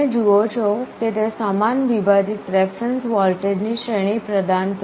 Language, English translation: Gujarati, You see it provides a range of a reference voltages equally separated